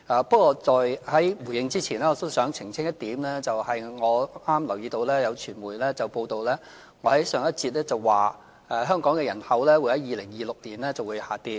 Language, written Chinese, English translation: Cantonese, 不過，在回應之前，我想澄清一點，就是我剛剛留意到有傳媒報道，指我在上一節說香港人口會在2026年下跌。, Before that however I would like to clarify that I just noticed some media reports quoting me as having said in the previous session that Hong Kong would see its population dropped in 2026